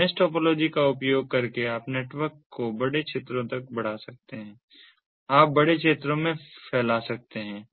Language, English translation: Hindi, so using mesh topology you can extend the network to larger areas, you can span across larger area